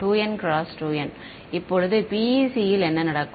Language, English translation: Tamil, 2N cross 2N right; now in the case of PEC what happens